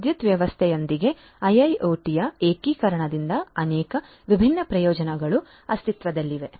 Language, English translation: Kannada, So many different benefits exist from the integration of IIoT with power system